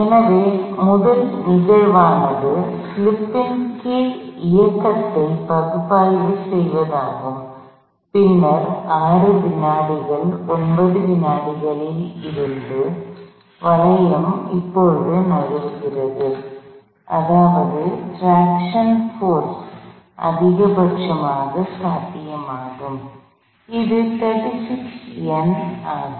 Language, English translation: Tamil, So, the first instants is analyzing motion under no slip, and then from 6 seconds 9 seconds , the hoop is now slipping, which means the attraction force is the maximum possible, which is 36 Newton’s